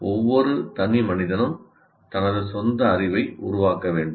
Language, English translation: Tamil, You, each individual will have to construct his own knowledge